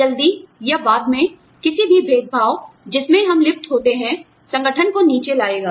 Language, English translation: Hindi, Soon or later, any discrimination, that we indulge in, will bring the organization, down